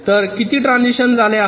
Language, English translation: Marathi, there are two transitions